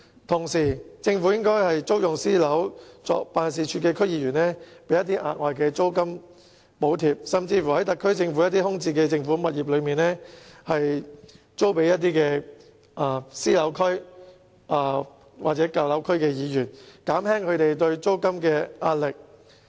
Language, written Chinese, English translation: Cantonese, 同時，政府應該為租用私人物業作辦事處的區議員提供額外租金補貼，甚至將特區政府空置的政府物業租予私樓區或舊樓區的區議員，以減輕他們的租金壓力。, At the same time the Government should provide an additional rental subsidy to DC members renting private properties as their offices and even let the vacnt government properties of the SAR Government to DC members who represent private residential areas or old residential areas so as to ease the rental pressure on them